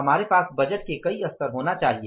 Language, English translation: Hindi, We have to have multiple level of budgeting